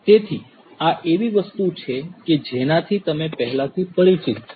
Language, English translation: Gujarati, So, this is something that you are already familiar with